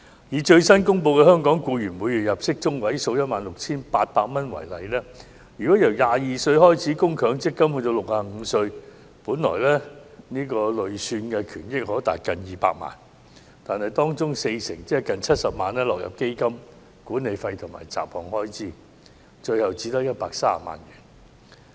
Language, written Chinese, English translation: Cantonese, 以最新公布的香港僱員每月入息中位數 16,800 元為例，如由22歲開始為強積金供款至65歲，累算權益本來可達近200萬元，但當中 40% 即近70萬元將落入基金的管理費及雜項開支，最後只餘130萬元。, If an employee starts to make contributions to MPF at the age of 22 the accrued benefits should reach about 2 million when he becomes 65 . However 40 % of the accrued benefits falls into fund management fees and miscellaneous expenses . In the end only 1.3 million is left